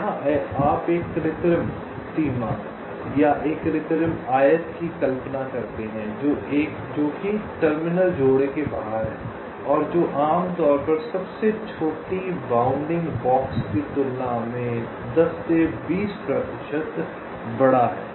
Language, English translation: Hindi, you imagine an artificial boundary or an artificial rectangle thats outside the terminal pairs, which is typically ten to twenty percent larger than the smallest bounding box